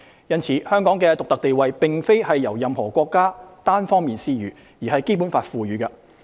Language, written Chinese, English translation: Cantonese, 因此，香港的獨特地位並非由任何國家單方面施予，而是《基本法》賦予的。, Therefore Hong Kongs unique status is not granted unilaterally by any country but is conferred by the Basic Law